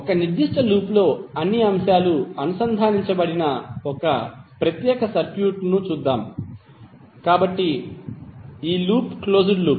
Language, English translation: Telugu, Let us see this particular circuit where all elements are connected in in in a particular loop, so this loop is closed loop